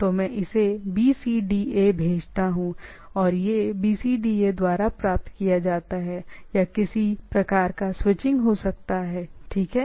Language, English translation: Hindi, So, I send it BCDA and it is received by BCDA, right or there can be some sort of a switching, right